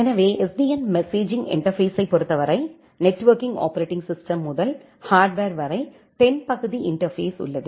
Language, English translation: Tamil, So, in terms of SDN messaging interface as we are mentioning that from networking operating system to the hardware, we have the southbound interface